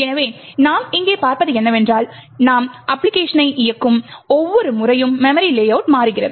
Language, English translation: Tamil, So, what we see over here is that the memory layout changes every time you run the application